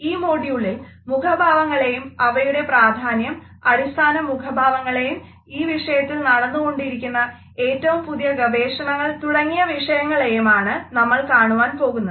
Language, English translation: Malayalam, In this module, we would look at the facial expressions, what is their importance, what are the basic types of facial expressions, and also, what is the latest research which is going on in this direction